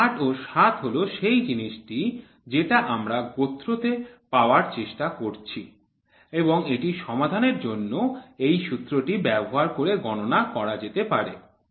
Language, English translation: Bengali, This 8 and 7 is what we are trying to get the class and this can be calculated by the formula which we used in solving it